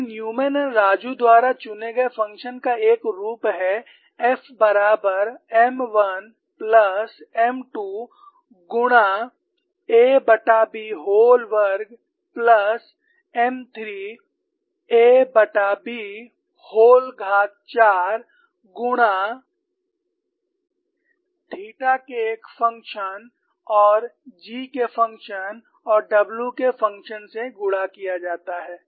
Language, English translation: Hindi, Then the function chosen by Newman and Raju has a form like this, f equal to M 1 plus M 2 multiplied a by B whole square plus M 3 a by B whole power 4 multiplied by a function of theta and a function g and function of w